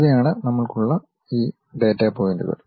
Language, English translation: Malayalam, These are the data points what we have